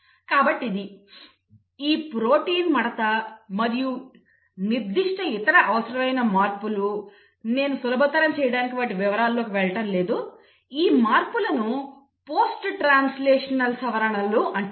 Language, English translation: Telugu, So this is, this protein folding and specific other required modifications, I am not going into them because of simplicity; these modifications are what are called as post translational modifications